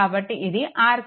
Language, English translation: Telugu, So, this is your R Thevenin